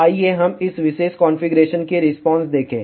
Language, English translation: Hindi, So, let us see the response of this particular configuration